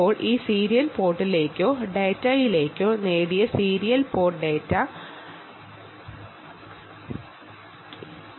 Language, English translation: Malayalam, ok, now that serial port data